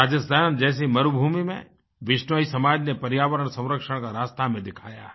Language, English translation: Hindi, TheBishnoi community in the desert land of Rajasthan has shown us a way of environment protection